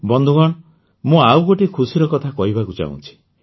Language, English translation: Odia, Friends, I want to share with you another thing of joy